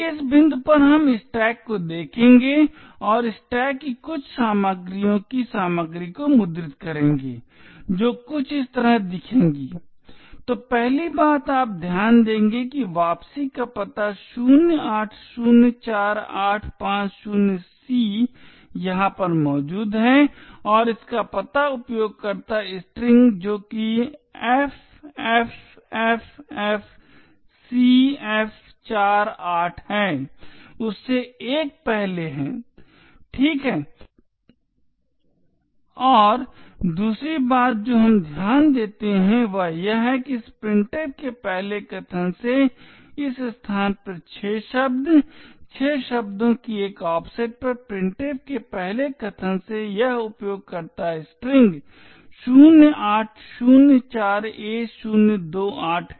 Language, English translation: Hindi, At this point we will look at the stack and print the contents of some of the contents of the stack which would look something like this, so of the first thing you would note is that the return address 0804850C is present over here and the address of user string which is ffffcf48 is 1 before that ok and other thing we note is that at a location 6 words from this first argument to printf at an offset of 6 words from the first argument to printf is this user string 0804a028